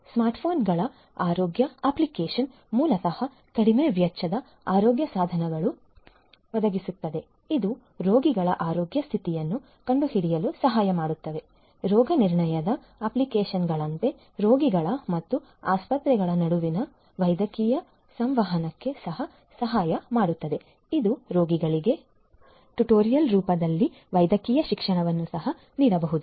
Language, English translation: Kannada, Smart phones healthcare app basically provides low cost healthcare devices which are sort of like diagnostic apps that help in detecting the health condition of patients; can also help in medical communication between the patients and the hospitals and can also offered medical education in the form of tutorials to the patients